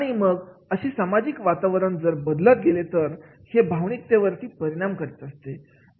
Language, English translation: Marathi, And if the social environment keeps on changing, it is emotionally affect